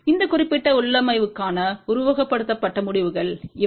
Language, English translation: Tamil, So, these are the simulated results for this particular configuration here